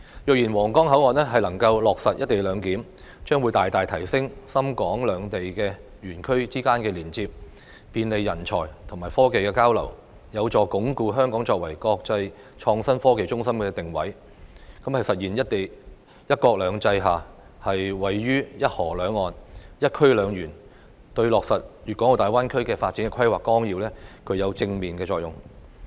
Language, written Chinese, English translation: Cantonese, 若然皇崗口岸能夠落實"一地兩檢"，將會大大提升深港兩地園區之間的連接，便利人才及技術交流，有助鞏固香港作為國際創新科技中心的定位，實現"一國兩制"下，位處"一河兩岸"的"一區兩園"，對落實《粵港澳大灣區發展規劃綱要》具有正面作用。, I am convinced that the Huanggang Port will only grow in importance . If successfully implemented at the Huanggang Port the co - location arrangement will greatly enhance the connectivity between SITZ and HSITP as well as facilitate the exchange of talent and technology . This will help consolidate Hong Kongs positioning as an international innovation and technology hub and establish one zone two parks at one river two banks under the auspices of one country two systems thus contributing positively to the implementation of the Outline Development Plan for the Guangdong - Hong Kong - Macao Greater Bay Area